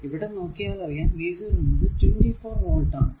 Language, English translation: Malayalam, So, 24 volt so, v 0 is equal to 24 volt